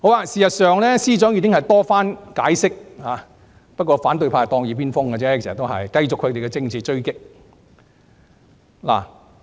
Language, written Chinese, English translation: Cantonese, 事實上，司長已多次解釋，只是反對派當耳邊風，繼續他們的政治追擊。, As a matter of fact the Secretary for Justice has explained time and again but the opposition camp turned a deaf ear and continued their political attacks